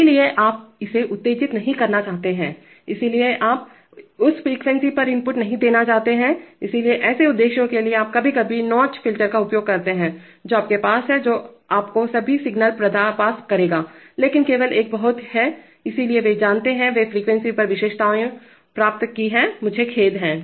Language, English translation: Hindi, So you do not want to excite that, so you, so you do not want to give input at that frequency, so for such purposes you sometimes use notch filters, which have, which will give you, which will pass all signals but only in a very, so they have, you know, they have gained characteristics over frequency I am sorry